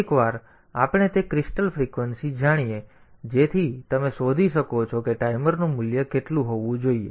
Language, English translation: Gujarati, So, once we know that crystal frequency, so you can find out like how to how much value that timer should have